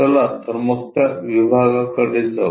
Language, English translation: Marathi, Let us move on to that module